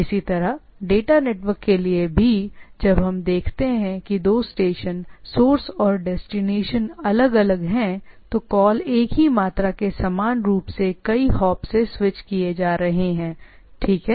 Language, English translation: Hindi, Similarly, for data network also, when we look at when two station, source and destinations are apart then there they are equal number multiple hop which are being switched, right